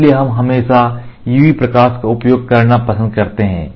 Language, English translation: Hindi, So, we always prefer to use UV light